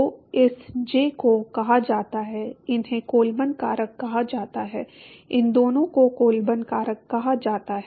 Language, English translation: Hindi, So, this j is called the, these are called the Colburn factor, these two are called the Colburn factors